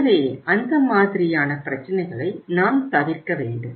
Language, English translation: Tamil, So we should avoid that kind of the problems